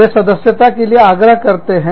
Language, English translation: Hindi, They solicit membership